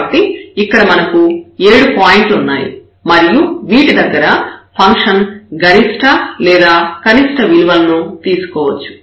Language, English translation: Telugu, So, we have so many points here the 4, 5, 6, 7, 7 points where the function may take the maximum or the minimum value